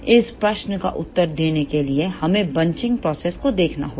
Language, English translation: Hindi, To answer this question we need to see the bunching process